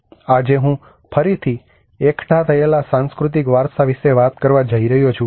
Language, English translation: Gujarati, Today I am going to talk about cultural heritage re assembled